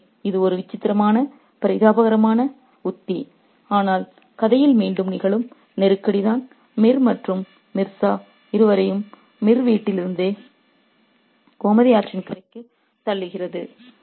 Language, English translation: Tamil, So, it's a peculiar pathetic strategy but that's the crisis that happens in the story which pushes them both Mir and Mirza from the home of Mir to the banks of the river Gomati